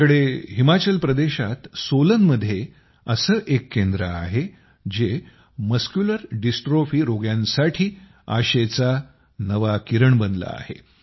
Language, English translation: Marathi, We have such a centre at Solan in Himachal Pradesh, which has become a new ray of hope for the patients of Muscular Dystrophy